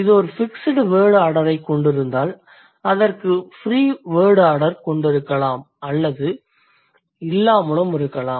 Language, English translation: Tamil, So, if it has a fixed word order, it may or may not have free word order